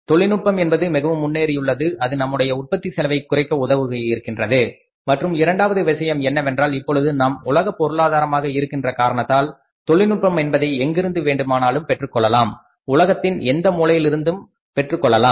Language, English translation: Tamil, Technology has become very advanced which has helped us reduce the cost of production and second thing is because we now we are a global economy so technology can be had from any beer any part of the world